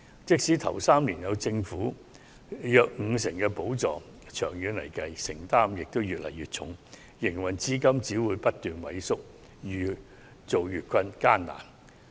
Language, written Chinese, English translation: Cantonese, 即使首3年有政府約五成補助，長遠來說，負擔會越來越重，營運資金只會不斷萎縮，經營越見艱難。, Despite government subsidy of about 50 % for employers in the first three years their burden will be increased in the long run and the shrinkage of working capital will make their operation more difficult